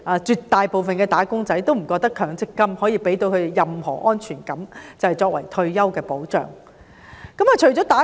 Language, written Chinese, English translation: Cantonese, 絕大部分"打工仔"不會認為強積金能給他們任何退休保障的安全感。, Most of the wage earners do not believe that MPF will give them any sense of security in terms of retirement protection